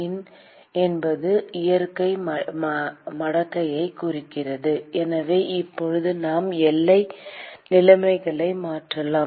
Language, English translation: Tamil, ln stands for the natural logarithm and so, now, we can substitute the boundary conditions